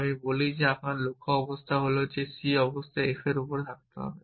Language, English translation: Bengali, I say my goal state is that c must be on f and e must be on c that is my goal state